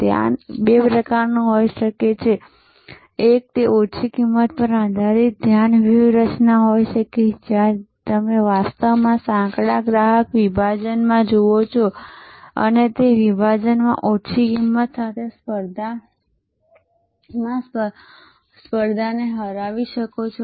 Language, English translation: Gujarati, The focus can be of two types, one can be that focus strategy based on low cost, where you actually look at in narrow customer segment and in that segment you beat the competition with the lower cost